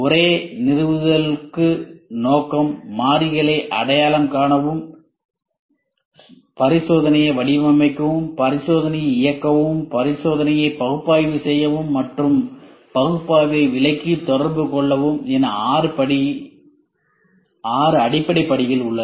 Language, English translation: Tamil, There are six basic steps for the same establish; the purpose, identify the variables, design the experiment, execute the experiment, analyse the experiment, and interpret and communicate the analysis